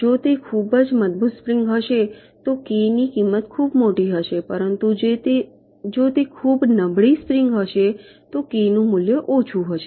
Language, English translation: Gujarati, if it is a very strong spring the value of k will be very large, but if it is very weak spring the value of k will be less